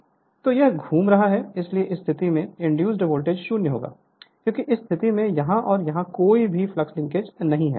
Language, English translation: Hindi, So, it is revolving, so at this position the voltage induced will be 0, because no flux linkage here and here at this position